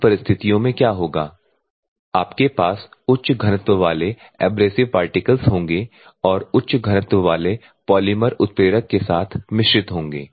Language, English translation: Hindi, In that circumstances what will happen you will have high density of abrasive particles and the high density polymers are blended along with the catalyst